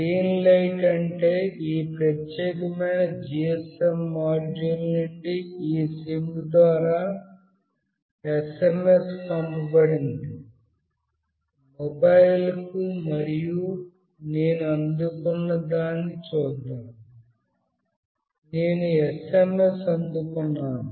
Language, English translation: Telugu, The green light is on meaning that the SMS has been sent from this particular GSM module through this SIM to my mobile, and let me see what I receive; I have received an SMS